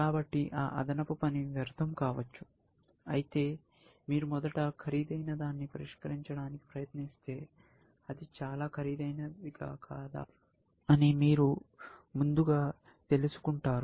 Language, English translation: Telugu, So, that extra work could be waste, whereas, if you try to solve the more expensive thing first, then you will get to know early whether, it is too expensive or not